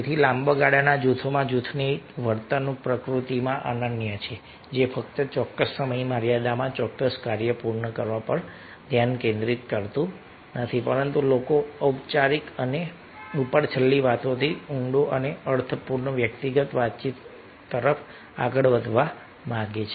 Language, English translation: Gujarati, in longer term, groups not simply focused on the completion of a particular task in a specific time frame, but people would like to move from formal and superficial talk to towards deeper and meaningful personal talk